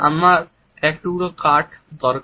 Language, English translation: Bengali, I need a piece of wood